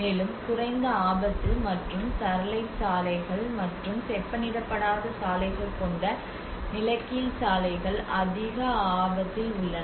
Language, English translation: Tamil, And the roads which is asphalt roads which having the low risk and gravel roads and unpaved roads which are more into the high risk